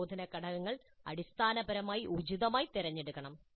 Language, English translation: Malayalam, Instructional components must be chosen appropriately, basically